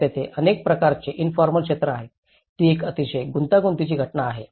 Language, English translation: Marathi, So, there are a variety of informal sectors, it’s a very complex phenomenon